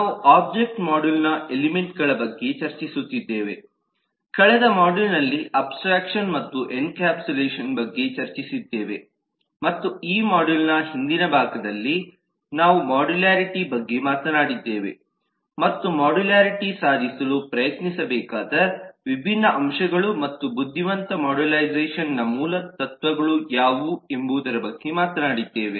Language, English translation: Kannada, last module had discussed about abstraction and encapsulation and in the earlier part of this model we have talked about modularity and different aspects of what a modularity should try to achieve and what are the basic principles of intelligent modularisation